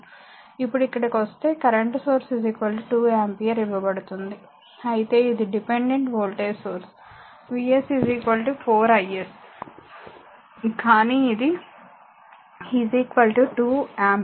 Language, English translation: Telugu, Now here if you come here a current source is given is equal to 2 ampere, but it dependent voltage source V s is equal to 4 is, but this is equal to 2 ampere